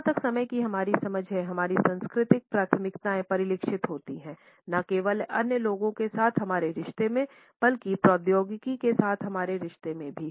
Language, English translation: Hindi, Our cultural preferences as far as our understanding of time is concerned are reflected not only in our relationship with other people, but also in our relationship with technology